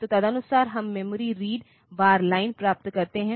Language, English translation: Hindi, So, accordingly we get the memory read bar line